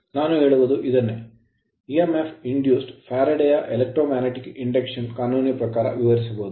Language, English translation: Kannada, Now, this is what I say that this and this emf strictly basically Faraday’s law of electromagnetic induction right